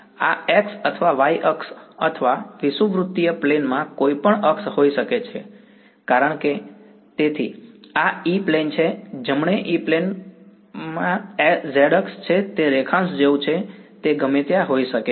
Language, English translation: Gujarati, This could be x or y axis or any axis in the equatorial plane because so, this is the E plane right E plane contains the z axis it is like a longitude it can be anywhere